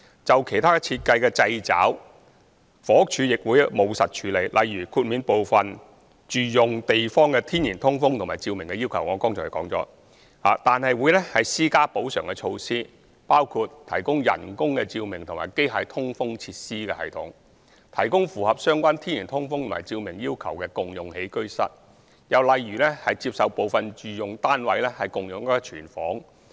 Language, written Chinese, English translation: Cantonese, 至於其他設計上的掣肘，房屋署亦會務實處理，例如豁免部分住用地方的天然通風和照明要求——我剛才亦已提及——但會施加補償措施，包括提供人工照明和機械通風設施系統、提供符合相關天然通風和照明要求的共用起居室，又或接受部分住用單位共用廚房。, For instance as I have mentioned just now BD may grant an exemption on the natural ventilation and lighting requirements for residential space but will impose compensatory measures such as the provision of artificial lighting and mechanical ventilation facilities provision of natural ventilation and lighting requirements in shared living rooms; or accepting shared kitchens in some residential flats